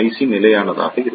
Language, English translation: Tamil, So, it will be constant